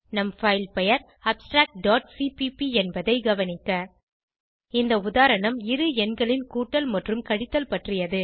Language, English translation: Tamil, Note that our filename is abstract.cpp This example involves addition and subtraction of two numbers